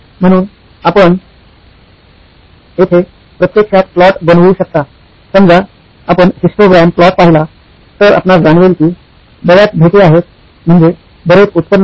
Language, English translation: Marathi, So you can actually plot, say a histogram plot of you know so many visits and so much is my revenue